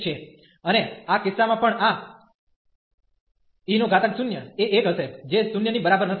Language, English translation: Gujarati, And in this case also this e power 0 will be 1 which is not equal to 0